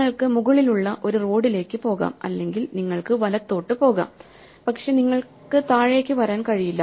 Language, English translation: Malayalam, So, you can go up a road or you can go right, but you cannot come down